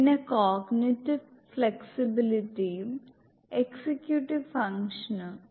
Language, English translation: Malayalam, Then cognitive flexibility and executive function